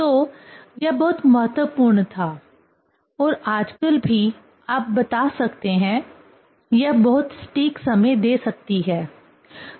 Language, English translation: Hindi, So, this was very important and now a days also; you can tell, it can give very accurate timing